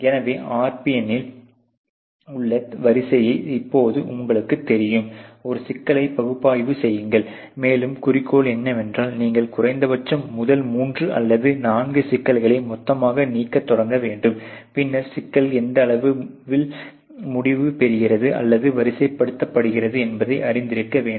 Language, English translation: Tamil, So, you know order on a RPN now analyze a problems and the goal is that you should start eliminating at least the first three or four problem to a totality, and then study what is the you know level at which the problem gets result or sorted out